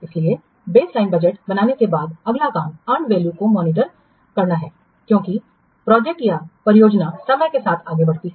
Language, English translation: Hindi, So, after creating the baseline budget, the next job is to monitor the earned value as the project progresses through time